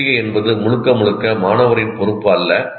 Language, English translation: Tamil, So that is not completely the responsibility of the student